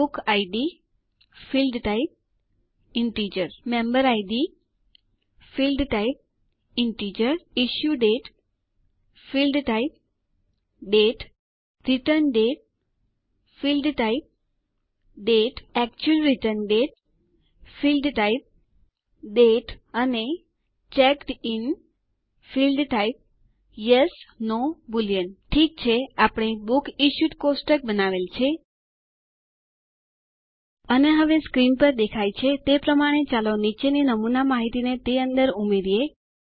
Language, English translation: Gujarati, which will be the primary key Book Id,Field type,Integer Member Id ,Field type,Integer Issue Date,Field type,Date Return Date,Field type,Date Actual Return Date,Field type,Date And Checked In,Field type Yes/No Boolean Okay, we have created the Books Issued table, And now let us add the following sample data into it as you can see on the screen